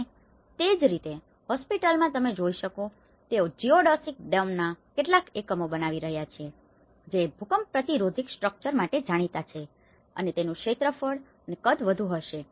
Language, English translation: Gujarati, And similarly, in the hospital what you can see is that they are building some units of the geodesic domes which has known for its earthquake resistant structure and which will have less area and more volume